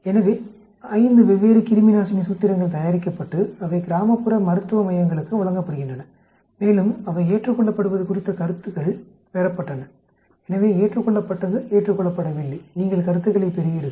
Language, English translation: Tamil, So, 5 different antiseptic formulations are prepared and they are given to rural medical centers and the feedback on their acceptability was received, so accepted not accepted, you get feedback